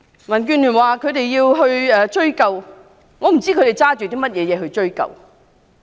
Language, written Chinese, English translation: Cantonese, 民建聯表示要追究，但我不知道他們憑甚麼去追究。, DAB have indicated the intention to pursue the matter but I wonder on what basis they are going to do so